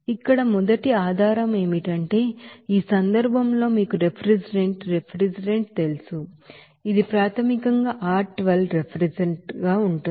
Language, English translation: Telugu, First here basis is that what is the circulation rate of you know refrigerant, refrigerant here in this case it is basically R 12 as refrigerant